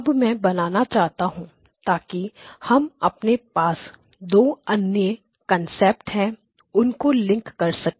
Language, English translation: Hindi, Okay now what I would like to do is built on that so that we can link the two concepts that we have